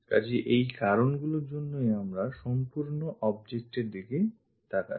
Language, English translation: Bengali, So, because of these reasons let us look at the complete object